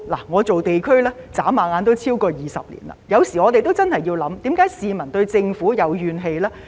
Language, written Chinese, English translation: Cantonese, 我從事地區工作轉眼已超過20年，有時候我們真的要思考，為何市民對政府有怨氣呢？, I have been serving the community for over 20 years and sometimes I think we really need to think about why members of the public have grievances against the Government